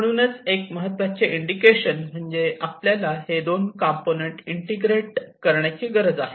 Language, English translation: Marathi, So this is one of the important indication that we need to integrate these two components